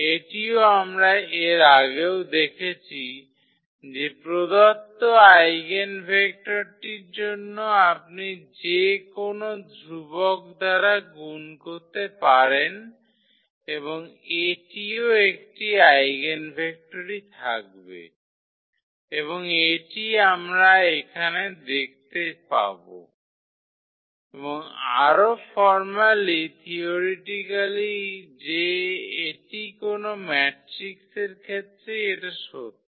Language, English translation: Bengali, So, this we have also seen before that for the given eigenvector you can multiply by any constant and that will also remain the eigenvector and this is what we will see here, and more formally theoretically that this is true for any matrix